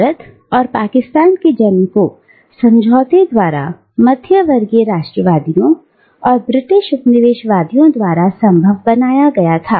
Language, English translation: Hindi, And, this birth of India and Pakistan was made possible by a pact that the middle class nationalists and the British colonialists had made together